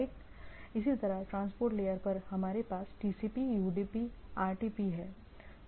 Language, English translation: Hindi, Similarly at the transport level we have TCP, UDP, RTP